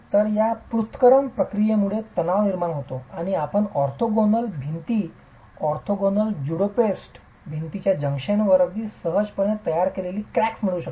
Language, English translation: Marathi, So, this separation action causes tension and you can get cracks very easily formed at the junction of orthogonal walls, orthogonally juxtaposed walls